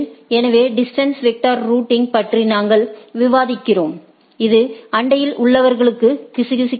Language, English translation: Tamil, So, these are what we are discussing about distance vector routing, where it whispers to the neighbors